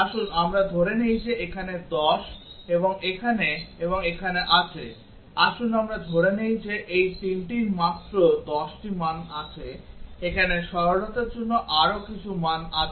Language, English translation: Bengali, Let us assume that there are 10 here and here and here, let us assume that these 3 have only 10 values of course, there are more than here for simplicity let us assume 10 each